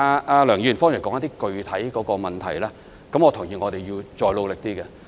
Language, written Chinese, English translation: Cantonese, 就梁議員剛才提出的具體問題，我認同我們要再努力一點。, Regarding the specific problems put forward by Mr LEUNG earlier on I agree that we have to work even harder